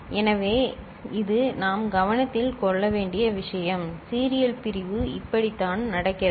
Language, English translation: Tamil, So, this is the thing that we take note of and this is how the serial division takes place ok